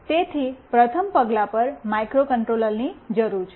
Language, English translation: Gujarati, So, we need a microcontroller on a first step